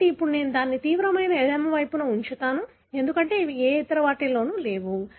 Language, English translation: Telugu, So, then I would put it on the extreme left, because they are not present in any other